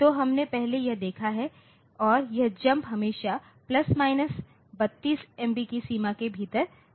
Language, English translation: Hindi, So, that we have seen previously and this jump is always within a limit of plus minus 32 MB